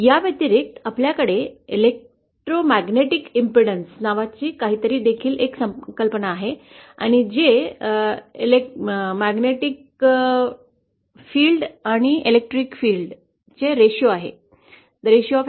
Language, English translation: Marathi, In addition we also have something called electromagnetic impedance which is the ratio of the electric to the magnetic field